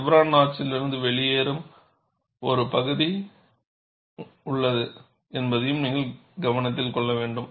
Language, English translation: Tamil, And you should also note that, there is a portion which comes out of the chevron notch